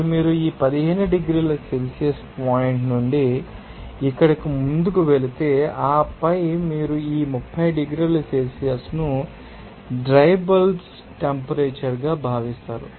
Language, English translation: Telugu, Now, if you know go forward from this 15 degrees Celsius point here up to these and then also you consider this 30 degree Celsius that is dry bulb temperature